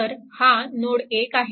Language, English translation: Marathi, So, reference node